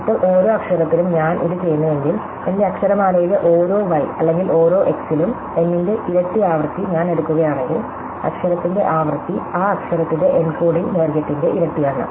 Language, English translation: Malayalam, Now, if I do this for every letter, so if I take the summation over every y or every x in my alphabet, n times the frequency of the letter times the encoding length of that letter